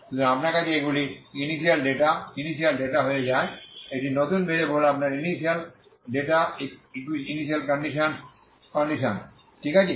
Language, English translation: Bengali, So you have these are the initial data initial data becomes this this is your initial data initial conditions in the new variables, okay